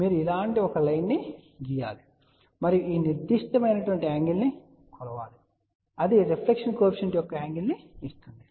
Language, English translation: Telugu, You actually draw a line like this and measure this particular angle and that will give the angle of the reflection coefficient